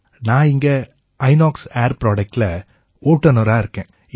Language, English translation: Tamil, I am here at Inox Air Products as a driver